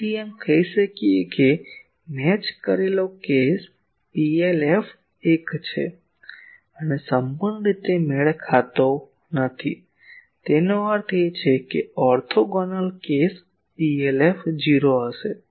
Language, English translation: Gujarati, So, we can say that matched case PLF is 1 and fully mismatch case; that means orthogonal case PLF will be 0